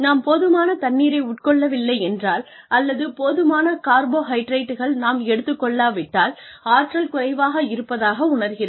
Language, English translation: Tamil, If, we are not consuming enough water, or if we are not taking in enough carbohydrates, we do tend to feel, depleted of energy